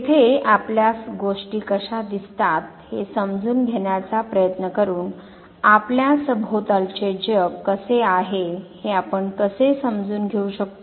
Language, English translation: Marathi, There by trying to understand that how do we perceive things, how do we make out sense how the world is around us